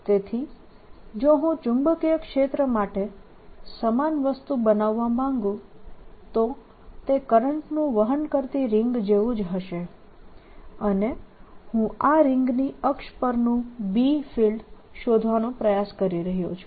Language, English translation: Gujarati, so if i would make a similar thing for field and magnetic field, it will be similar to a current carrying ring and i'm trying to find the b field on the axis of this ring